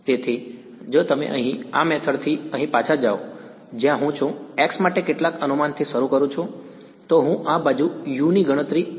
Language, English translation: Gujarati, So, if you go back over here in this method over here where I am I start with some guess for x then I calculate u using this right